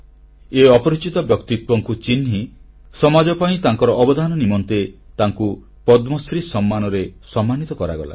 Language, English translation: Odia, Identifying her anonymous persona, she has been honoured with the Padma Shri for her contribution to society